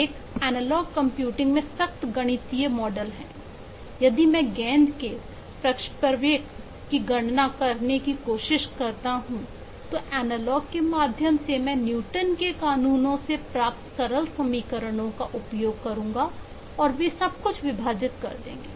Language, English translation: Hindi, if I try to compute the trajectory of the ball through analog means, I will use simple equations derived from newtons laws and they will divide everything